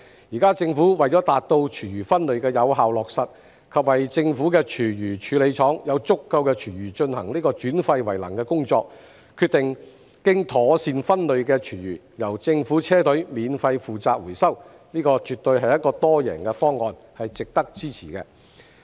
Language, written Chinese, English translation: Cantonese, 現時政府為了達到廚餘分類的有效落實，以及為政府的廚餘處理廠有足夠的廚餘進行轉廢為能的工作，決定經妥善分類的廚餘由政府車隊免費負責回收，這絕對是一個多贏的方案，是值得支持的。, Now to effectively implement food waste separation and to ensure that the food waste treatment plants of the Government will have sufficient food waste for their waste - to - energy work the Government has decided that the recovery of properly separated food waste will be undertaken by its vehicle fleets free of charge . This is absolutely an all - win proposal worthy of support